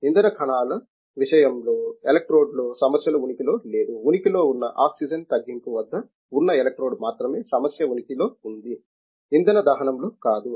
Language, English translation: Telugu, In the case of the fuel cells, the problem does not exist is the electrode; the problem exist is the electrode at that the oxygen reduction, not on the fuel combustion